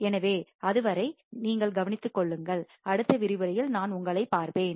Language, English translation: Tamil, So, till then you take care, and I will see you in the next lecture, bye